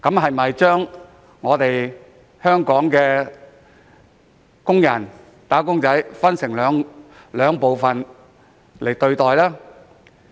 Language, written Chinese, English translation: Cantonese, 為何將香港的"打工仔"分為兩類並享有不同待遇呢？, Why are wage earners in Hong Kong divided into two types and treated differently?